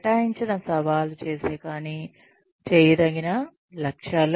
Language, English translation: Telugu, Assigned, challenging, but doable goals